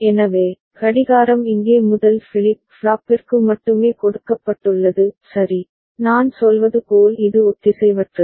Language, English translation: Tamil, So, the clock is given here only to the first flip flop right, as I was saying that is it is asynchronous